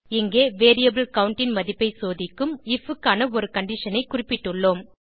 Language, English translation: Tamil, Here we have specified a condition for if which checks the value of variable count